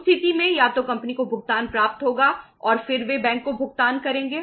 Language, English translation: Hindi, In that case either the company will receive the payment and then they will make the payment to the bank